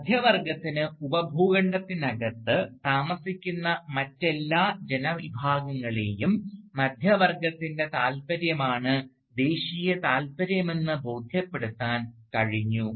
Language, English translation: Malayalam, And how the middle class has managed to convince all the other groups of people living within the subcontinent, that what is in the interest of the middle class is also the national interest